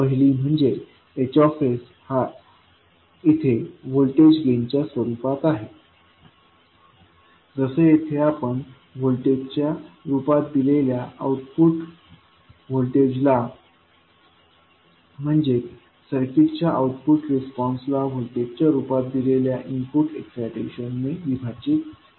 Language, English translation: Marathi, First is H s in terms of voltage gain where you correlate the output voltage that is output response of the circuit in terms of voltage divided by input excitation given in the form of voltage